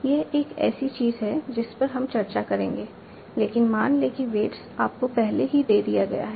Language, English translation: Hindi, This is something that we will discuss but assume that the weights are already given to you